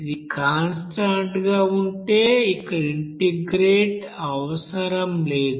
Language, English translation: Telugu, If it is constant then is not required to integrate here